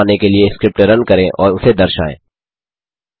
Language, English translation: Hindi, Run the script to produce the plot and display the name